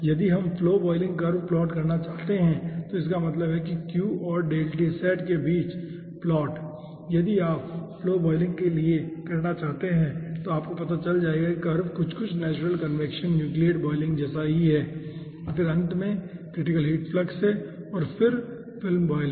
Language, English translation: Hindi, if you want to do ah for flow boiling, then you will be finding out the curve looks like more or less having the natural convection nucleate boiling and then finally critical heat flux and then film boiling